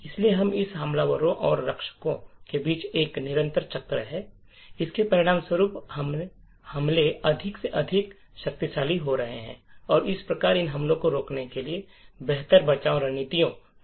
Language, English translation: Hindi, So, in this way there is a constant cycle between the attackers and defenders and as a result the attacks are getting more and more powerful and thereby better defend strategies are required to prevent these attacks